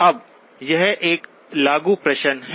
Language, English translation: Hindi, Now this is an applied question